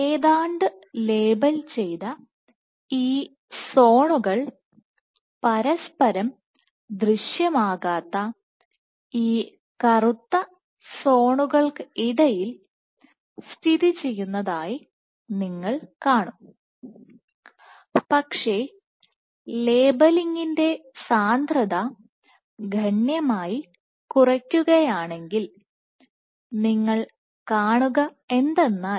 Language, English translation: Malayalam, So, what you will see, you would see these roughly the labelled zones interspaced which black zones which are not visualized, but if you reduce the concentration of labelling significantly then what you will find